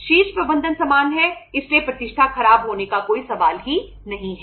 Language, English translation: Hindi, Top management is same so the reputation there is no question of spoiling the reputation